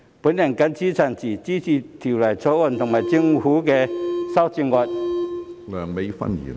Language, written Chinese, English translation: Cantonese, 我謹此陳辭，支持《條例草案》和政府的修正案。, With these remarks I support the Bill and the Governments amendments